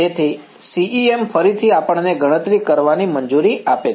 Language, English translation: Gujarati, So, CEM again allows us to calculate these exactly ok